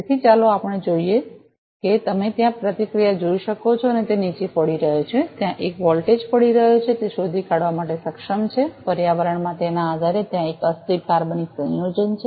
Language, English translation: Gujarati, So, let us see so you can see the response there it is falling there the voltage is falling it is able to detect that there is a volatile organic compound there in the environment depending